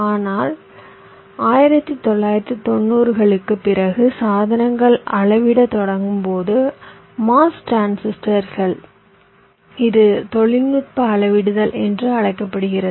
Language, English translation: Tamil, but subsequent to nineteen, nineties, when ah, the devices started to scale down the mos transistors this is called technology scaling